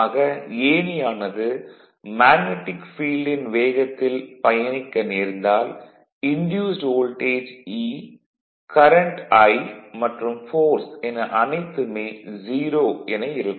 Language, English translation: Tamil, So, if the ladder were to move at the same speed at the magnetic field the induced voltage E, the current I, and the force would all be 0 because relative speed will be 0 right